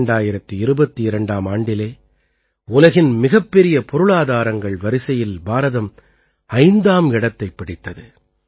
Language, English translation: Tamil, India attaining the status of the world's fifth largest economy; 2022, i